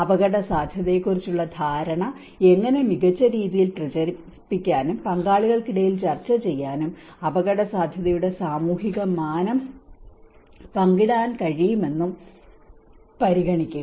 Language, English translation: Malayalam, To consider how the understanding of risk can be better circulated and discussed among stakeholders to reach a shared recognition of the social dimension of risk